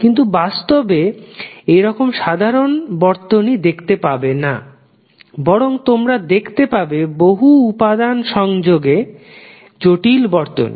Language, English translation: Bengali, But in reality you will not see simple circuits rather you will see lot of complex circuits having multiple components of the sources as well as wires